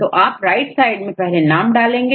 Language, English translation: Hindi, So, first you give the name right